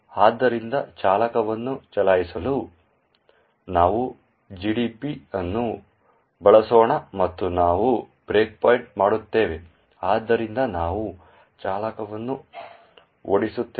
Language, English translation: Kannada, So, let us use GDB to run driver and we would breakpoint, so we run driver